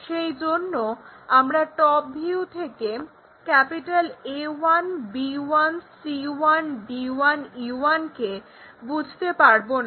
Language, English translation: Bengali, Similarly, at the bottom ones let us call A 1, B 1, C 1, D 1, and E 1